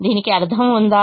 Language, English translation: Telugu, does it have a meaning